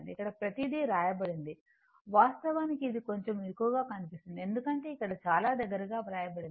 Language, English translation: Telugu, Everything is written there here notes actually little bit clumsy because, very closely written here